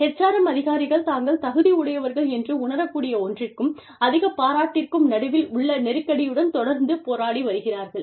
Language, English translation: Tamil, HRM professionals are constantly struggling with, the tension between the high appreciation, they feel, they are eligible for